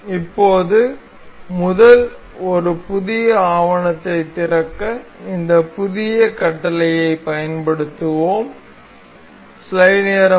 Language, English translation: Tamil, So now, from now earlier we have been using this new command to open a new document